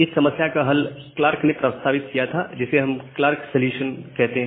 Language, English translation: Hindi, So, to solve this problem, we have a solution which is proposed by Clark, we call it as a Clark solution